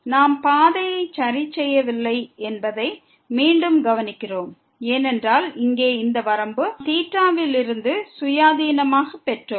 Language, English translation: Tamil, We have again note that we have not fixed the path because this limit here, we got independently of theta